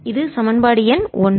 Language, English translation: Tamil, this is equation number one